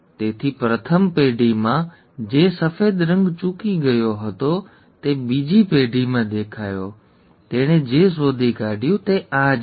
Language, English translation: Gujarati, So the white colour which was missed in the first generation made an appearance in the second generation; that is what he found